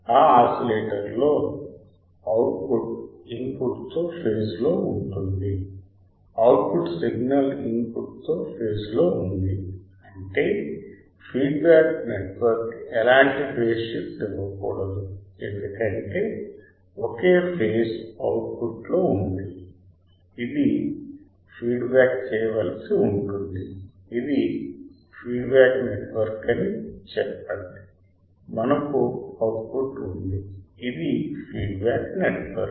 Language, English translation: Telugu, In this oscillator there the output is in phase with the input; the output voltage output signal is in phase with the input; that means, there is a feedback network should not give any kind of a phase shift right because same phase is at output, we have to feedback let us say this is a feedback network we have a output right this is a feedback network